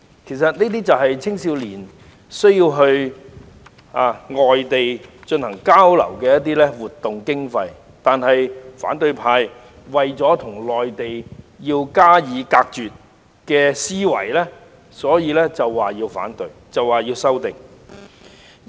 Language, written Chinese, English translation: Cantonese, 這些其實是青年人到外地進行交流活動的所需經費，但反對派卻基於要與內地隔絕的思維而提出反對和修訂。, It is actually the funding required for young peoples exchange activities abroad . But the opposition camp has raised objection and proposed amendments based on their philosophy to disconnect from the Mainland